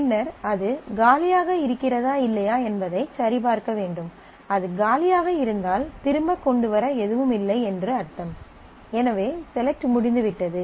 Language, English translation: Tamil, And then you check whether it is empty or not, if it is empty then the I mean there is nothing to bring back, so you are done